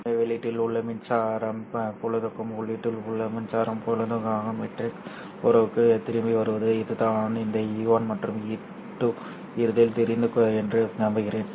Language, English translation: Tamil, So coming back to the matrix relationship for the electric field at the output and the electric field at the input, this is the relationship